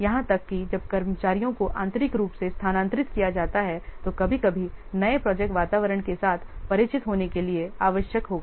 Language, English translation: Hindi, Even if when staff are transferred internally, sometime we will be required for familiarization with the new project environment